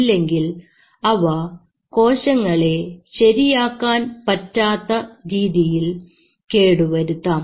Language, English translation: Malayalam, Otherwise it will damage the cells beyond recovery